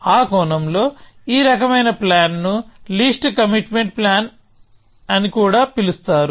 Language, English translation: Telugu, So, in that sense, this kind of planning is also known as least commitment planning